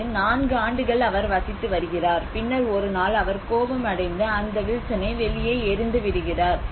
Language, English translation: Tamil, He lives here for 4 years and then one day he gets angry and he throws out that Wilson out